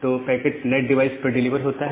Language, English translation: Hindi, So, the packet is delivered to the NAT device